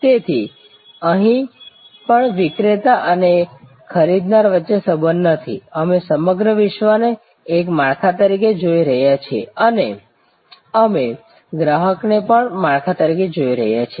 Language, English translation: Gujarati, So, even here there is not a supplier buyer relationship, we are looking at the whole constellation as a network and we are looking at the customers also as a network